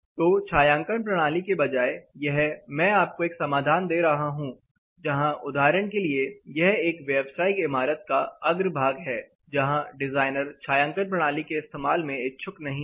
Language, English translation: Hindi, So, instead of providing a shading system here I am trying to give you a solution where for example, this is a commercial building facade, where the designer is not interested in providing shading system